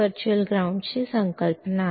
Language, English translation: Kannada, This is the concept of virtual ground